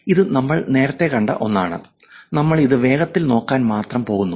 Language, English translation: Malayalam, This is something we saw earlier and we are just going to quickly brush it only